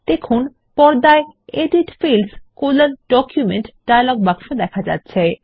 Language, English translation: Bengali, We see that the Edit Fields: Document dialog box appears on the screen